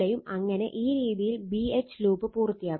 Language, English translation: Malayalam, So, this way your B H loop will be completed right